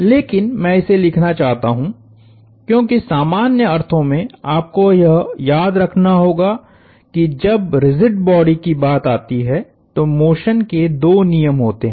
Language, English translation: Hindi, But, I do want to write this down, because in a general sense, you would have to remember that, there are two laws of motion when it comes to rigid bodies